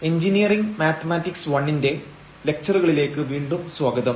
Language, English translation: Malayalam, Welcome back to the lectures on Engineering Mathematics I and this is lecture number 20